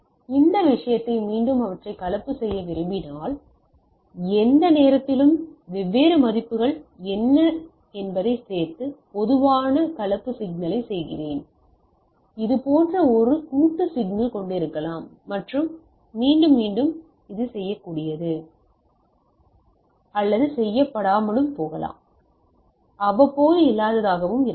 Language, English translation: Tamil, Now, in this case again if I want to make them composite, so any point of time I go on adding what are the different values and do the composite signal right like typically I can I may have a some sort of a composite signal like this and which is again repeatable, it may not be repeatable also means it may be non periodic